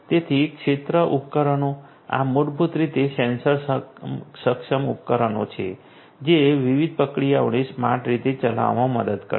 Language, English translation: Gujarati, So, field devices so, you know these are basically sensor enable devices which will help in execution of different processes in a smart manner